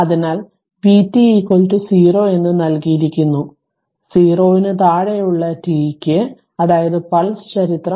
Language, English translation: Malayalam, So, it is it is given vt is 0 for t less than 0 that is pulse history